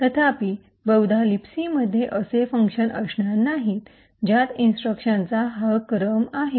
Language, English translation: Marathi, However, most likely there would not be a function in libc which has exactly this sequence of instructions